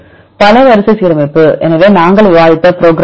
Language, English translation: Tamil, Multiple sequence alignment; so what is the another program we discussed